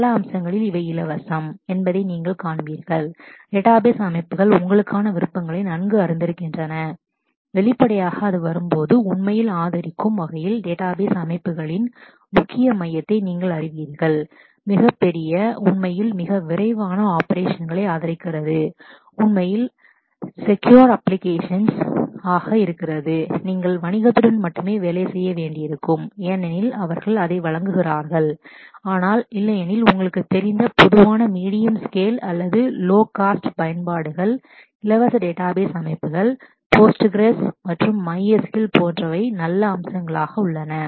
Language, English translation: Tamil, In many aspects you will find that these free database systems have a better you know options for you; obviously, when it comes to you know really the core, core of database systems in terms of really really supporting very large databases, really really supporting very fast operations, really really supporting very secure applications, you might need to only work with commercial software because they offer that, but otherwise for a large number of common you know medium scale or low cost applications the free database systems, Postgres and MySQL are really good options there are different such features